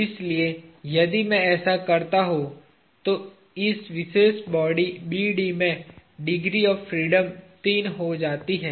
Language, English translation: Hindi, So, if I do that, this particular body BD has three degrees of freedom